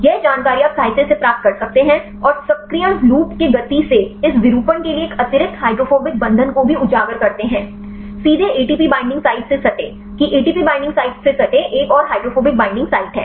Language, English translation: Hindi, This information you can obtain from the literature and the movement of the activation loop to this out conformation also exposes an additional hydrophobic binding, directly adjacent to the ATP binding site; that is another hydrophobic binding site adjacent to the ATP binding sites